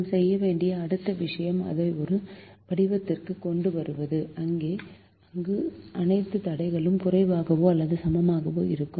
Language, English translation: Tamil, the next thing we have to do is to bring it to a form where all the constraints are less than or equal to